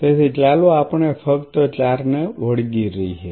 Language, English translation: Gujarati, So, let us just stick to 4